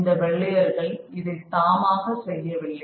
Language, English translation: Tamil, The white man is not voluntarily doing it